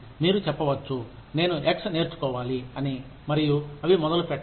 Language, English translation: Telugu, You say, I want to learn X, and, they do not start